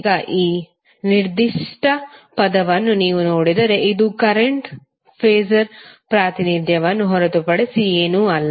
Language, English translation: Kannada, Now, if you see this particular term this is nothing but the phasor representation of current